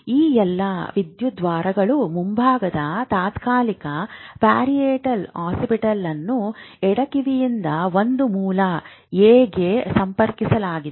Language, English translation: Kannada, That means that all these electrodes, frontal, temporal, parietal, oxybital, all are connected to one source A1, like left ear